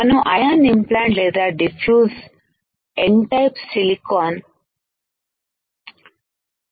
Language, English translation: Telugu, We have to ion implant or diffuse N type silicon